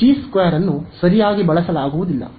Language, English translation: Kannada, So, G 2 cannot be used ok